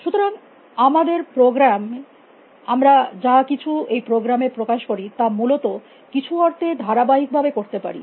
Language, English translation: Bengali, So, our programs can whatever, we can express in programs we can do consistently in some sense